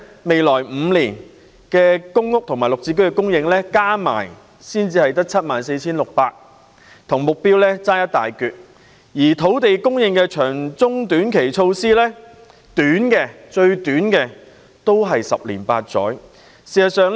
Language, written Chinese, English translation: Cantonese, 未來5年公屋及綠表置居先導計劃的供應加起來只有 74,600 個單位，與目標相距甚遠；而土地供應的長中短期措施，最短期的措施都要十年八載才見成效。, In the coming five years the supply of PRH and the Green Form Subsidized Home Ownership Pilot Scheme flats will add up to just 74 600 units which is far from the target . The short - term mid - term and long - term measures for land supply will take at least 8 to 10 years to become effective at the earliest